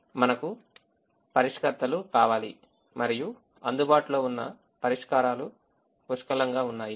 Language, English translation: Telugu, we need solvers and there are plenty of solvers that are available